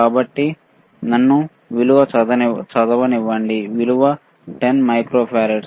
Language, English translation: Telugu, So, let me read the value, the value is 10 microfarad